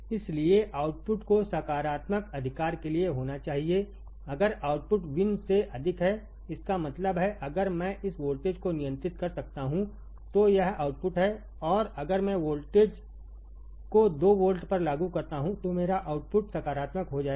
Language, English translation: Hindi, So, output will should to positive right if output is greater than the V in; that means, if I this voltage I can control right this output is there and if I apply voltage that is 2 volts, then my output will go to positive now